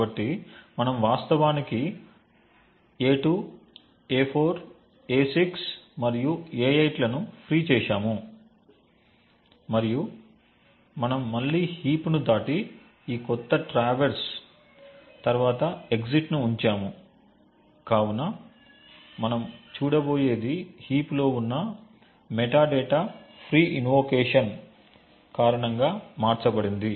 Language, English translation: Telugu, So we in fact we have freed a2, a4, a6 and a8 and we then traverse the heap again and put the exit just after this new traverse and what we are going to see is the metadata present in the heap changed due to the free invocations that are done